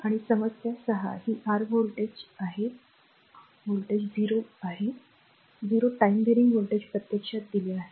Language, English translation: Marathi, And problem 6 this is your voltage your voltage 0 for say time varying voltage actually given